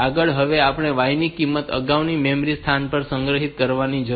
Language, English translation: Gujarati, Next now we need to value store the value of y on to the previous memory location